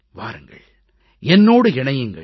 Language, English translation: Tamil, Come, get connected with me